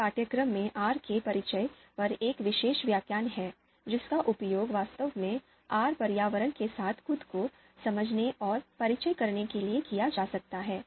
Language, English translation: Hindi, There is a particular lecture on introduction to R and that can actually be used to understand and to familiarize yourself with the R environment itself